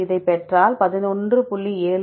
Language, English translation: Tamil, So, if we get this we will get the value of 11